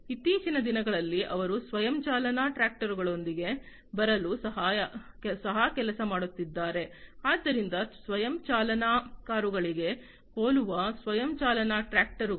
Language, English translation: Kannada, So, nowadays they are also working on coming up with self driving tractors, so something very similar to the self driving cars self driving tractors